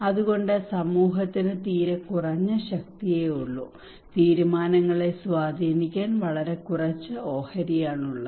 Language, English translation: Malayalam, So community has a very less power, very less stake to influence the decisions